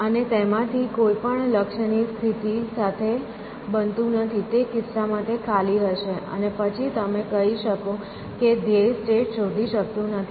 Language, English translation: Gujarati, And none of them happens with the goal state in which case it will be empty, and then you can say that goal state cannot